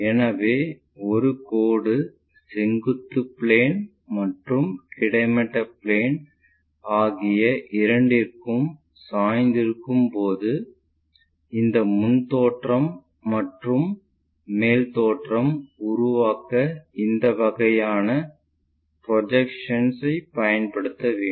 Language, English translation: Tamil, So, when a line is inclined to both vertical plane, horizontal plane, we have to use this kind of projections to construct this front view and top view of the system